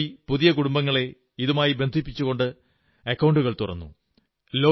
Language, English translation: Malayalam, Thirty crore new families have been linked to this scheme, bank accounts have been opened